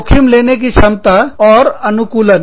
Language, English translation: Hindi, Risk taking ability and orientation